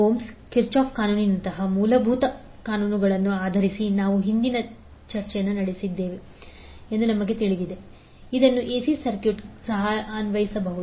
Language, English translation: Kannada, Now we also know, that the previous discussions we had based on basic laws like ohms law Kirchhoff’s law, the same can be applied to AC circuit also